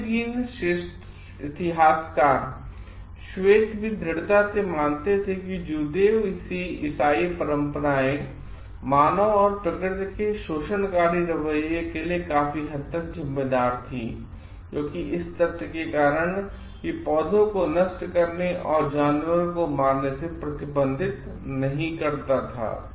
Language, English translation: Hindi, The medieval historian white also strongly believed that Judeo Christianity traditions were largely responsible for exploitive attitude of humans and nature leading to the ecological crisis because of the fact that it never restricted humans from destroying plants and killing animals